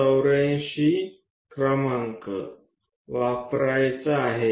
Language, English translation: Marathi, 84 number we have to use